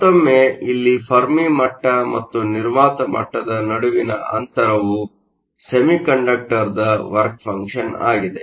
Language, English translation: Kannada, Once again here the distance between the Fermi level and vacuum level is a work function of the semiconductor